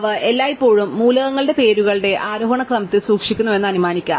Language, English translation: Malayalam, We can assume that they are always kept in ascending order of the names of the elements